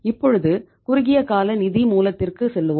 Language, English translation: Tamil, Now go to the short term source of finance